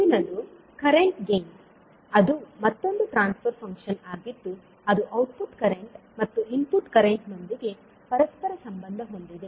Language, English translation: Kannada, Next is current gain that is again the transfer function which correlates the output current with input current